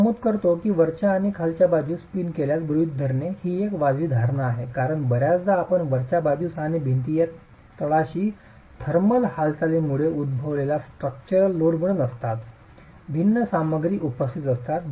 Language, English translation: Marathi, I mentioned that the assumption of the top and the bottom being pinned is a reasonable assumption because very often you will have cracking at the top and the bottom of a wall occurring due to thermal movements not because of structural loads